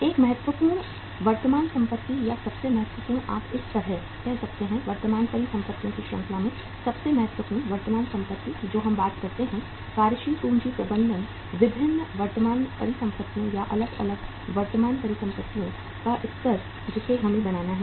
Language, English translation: Hindi, One important current asset or the most important you can say like this, most important current asset in the series of the current assets which we uh talk say in the working capital management, different current assets or the level of different current assets we have to build up